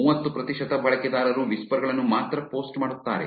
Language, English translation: Kannada, Thirty percent of the users only post whispers